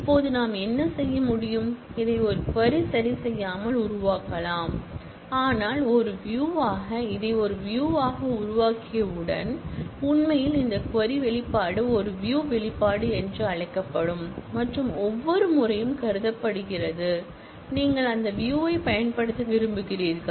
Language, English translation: Tamil, Now, what we can do is, we can create this not adjust as a query, but as a view one, once we create this as a view, it actually this query expression is treated as what is known as a view expression and every time you want to use that view